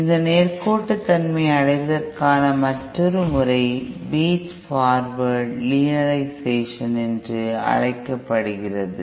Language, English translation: Tamil, Then yet another method of achieving this linearity is what is known as Feed Forward Linearisation